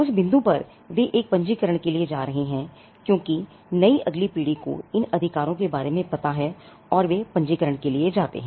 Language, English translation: Hindi, At that point they are going for a registration, because the next generation at the new generation they are aware of these rights and they go in for a registration